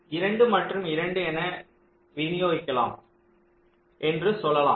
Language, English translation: Tamil, similarly, let say, distribute us two and two